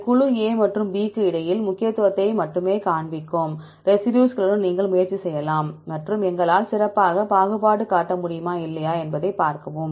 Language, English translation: Tamil, Then you can try with the residues which are showing only significance between this group A and B and see whether we can able to discriminate better or not